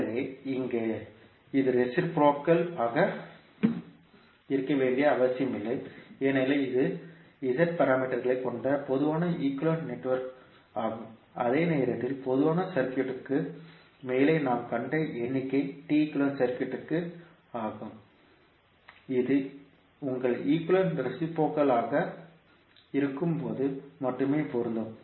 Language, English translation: Tamil, So, here it need not to be reciprocal because this is a generic equivalent network having Z parameters, while the figure which we saw above the generic circuit is T equivalent circuit which is only applicable when your network is reciprocal